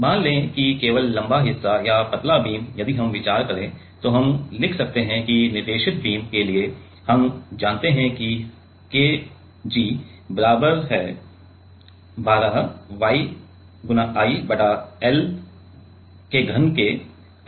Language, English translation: Hindi, So, let us say only the longer part or the thinner beam if we consider, then we can write that for guided beam we know that KG is equals to 12 YI by l cube